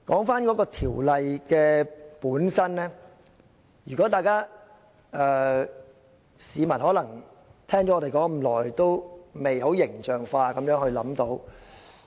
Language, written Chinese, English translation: Cantonese, 說回《條例草案》本身，市民可能聽我們說了這麼久，仍未能很形象化地理解。, Despite spending so much time listening to our speeches members of the public might still not figure out the meaning of the Bill itself